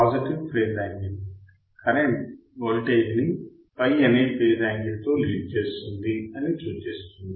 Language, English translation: Telugu, The positive phase angle indicates that the current leads the voltage by phase angle or by angle phi